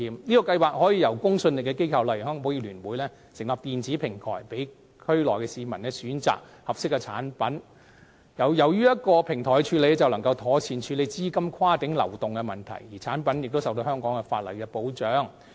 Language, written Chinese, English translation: Cantonese, 這個計劃可由有公信力的機構，例如香港保險業聯會成立電子平台，供區內居民選擇合適產品，而且透過電子平台處理，便可妥善處理資金跨境流動的問題，同時產品亦受到香港法例的保障。, The scheme can be operated through an electronic platform operated by a credible organization such as the Hong Kong Federation of Insurers so that residents of the Bay Area can choose products suitable to them . An electronic platform is also an effective way to handle cross - border capital flow and the products will be protected by the laws of Hong Kong